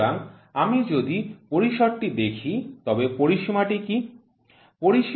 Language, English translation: Bengali, So, if I see the range, what is the range